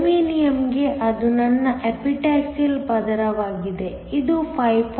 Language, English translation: Kannada, For germanium so that is my Epitaxial layer, is 5